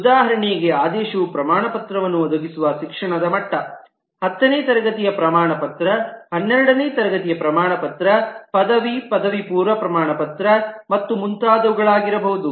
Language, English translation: Kannada, For example, the ordering could be the level of education for which the certificate is provided, the 10th standard certificate, the 12th standard certificate, the graduate, the under graduation certificate and so on